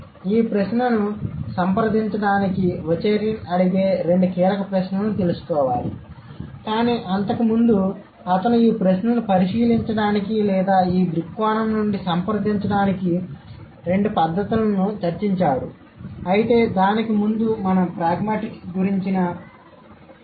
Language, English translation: Telugu, So, to approach this question, and these are the two key questions that Varsurin 2009 would ask, but before that, and he has discussed a couple of methods to answer these queries or to consider these questions or to approach it from these perspective, but before that let's just have a look at some information that we have about pragmatics